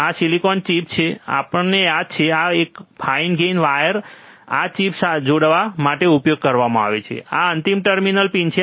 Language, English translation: Gujarati, So, this is the silicon chip, right we all remember this, and then fine gauge wires are used to connect this chip to the this final terminal pins